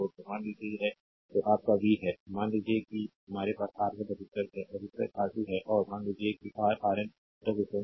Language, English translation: Hindi, Say, this is your v suppose we have a resistance R 1, you have a resistance R 2 , and suppose you have a resistance your Rn, right